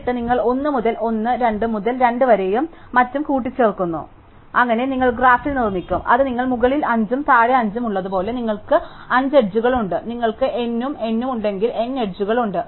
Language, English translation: Malayalam, And then, you combine 1 to 1, 2 to 2 and so on, so that you build up in the graph which as if you have 5 on top and 5 in the bottom, you have 5 edges, if you have n and n you have n edges